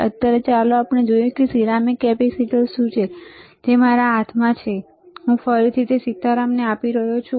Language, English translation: Gujarati, But, right now let us see if the ceramic capacitor is there, which is in my hand and I am giving to again to Sitaram